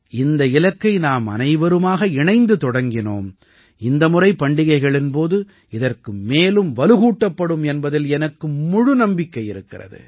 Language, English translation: Tamil, I am sure that the campaign which we all have started together will be stronger this time during the festivals